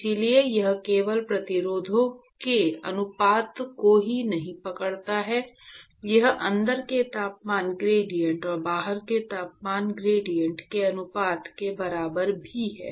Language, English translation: Hindi, So, it is not just that it captures a ratio of resistances, it is also equivalent to the ratio of the gradient temperature gradient inside and temperature gradient outside